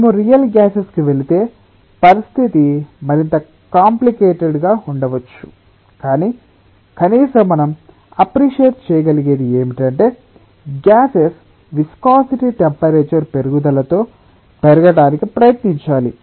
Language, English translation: Telugu, if we go to real gases, the situation may be more complicated, but at least what we can appreciate is that the viscosity of gases should try to increase with increase in temperature